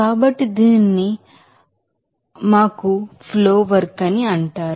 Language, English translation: Telugu, So, this will be called us flow work